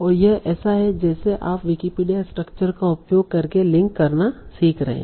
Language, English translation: Hindi, So this is like you are learning to link using Wikipedia